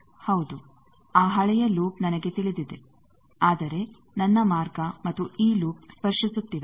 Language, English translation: Kannada, Yes, that old loop that value I know, but my path and this loop they are touching